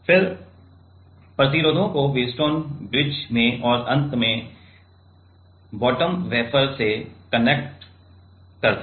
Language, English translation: Hindi, Then connect the resistors in Wheatstone bridge and finally, bond bottom wafer